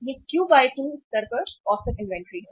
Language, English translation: Hindi, This is the average inventory at the Q by 2 level